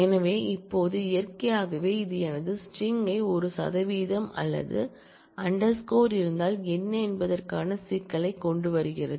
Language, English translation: Tamil, So now, naturally this brings in an issue of for what if my string itself has a percentage or an underscore character